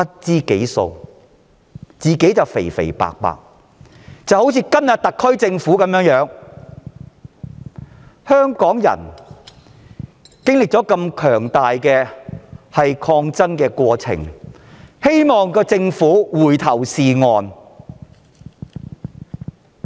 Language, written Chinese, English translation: Cantonese, 這情況與今天的特區類似，香港人剛經歷強大的抗爭過程，希望政府回頭是岸。, The situation at that time was similar to that of the SAR today . After going through an immense struggle Hong Kong people hope that the Government will get back on the right track